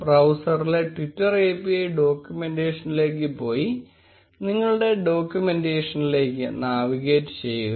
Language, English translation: Malayalam, Go to twitter API documentation in a browser and navigate to the documentation